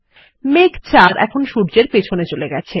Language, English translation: Bengali, Cloud 4 is now behind the sun